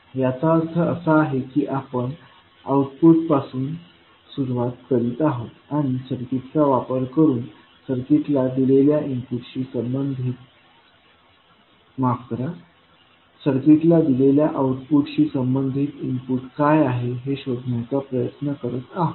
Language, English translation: Marathi, It means that what we are doing, we are starting from output and using the circuit we are trying to find out what would be the corresponding input for the output given to the circuit